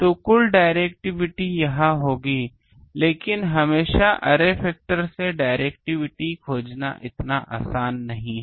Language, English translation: Hindi, So, the total directivity will be this thing, but always finding the directivity from this thing array factor is not so easy